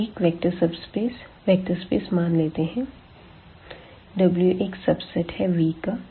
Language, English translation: Hindi, So, let V be a vector space and let W be a subset of V